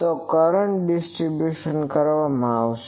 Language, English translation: Gujarati, So, currents will be distributed